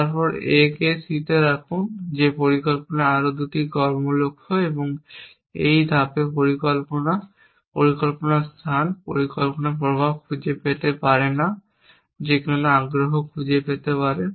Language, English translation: Bengali, Then put A on to C that is 2 more action goals at planning would never find this 6 step plan and plan space planning can find influence that why interest in that